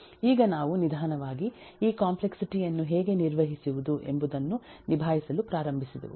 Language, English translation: Kannada, so now we slowly start getting into how to handle how to manage this complexity